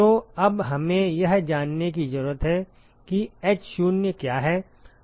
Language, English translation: Hindi, So, now we need to know what is h0